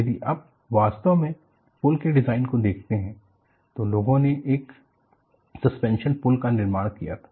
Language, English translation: Hindi, If you really look at the bridge design, people built a suspension bridge